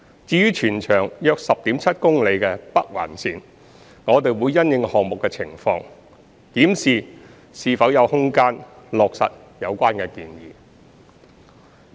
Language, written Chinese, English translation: Cantonese, 至於全長約 10.7 公里的北環綫，我們會因應項目的情況檢視是否有空間落實有關建議。, For the 10.7 - km long NOL we will review whether there is room for adopting such recommendation in light of the circumstances of the project